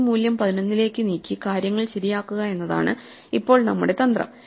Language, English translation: Malayalam, So, the strategy now is to move this value to 11 and then fix things, right